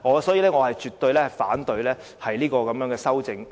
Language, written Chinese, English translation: Cantonese, 所以，我絕對反對這項修正案。, That is why I am totally against this amendment